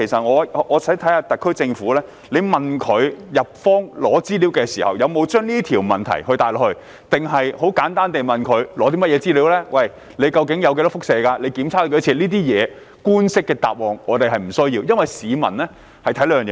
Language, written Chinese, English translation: Cantonese, 我想看看特區政府在向日方索取資料時，有否提出這個問題，還是純粹向日方索取資料，例如核廢水內究竟含有多少輻射物質，以及日方曾進行多少次檢測等。, I would like to know whether the SAR Government had raised this question while asking the Japanese authorities for information or simply asked the Japanese authorities to provide information on for example the amount of radioactive substances in nuclear wastewater and the number of tests conducted by the Japanese authorities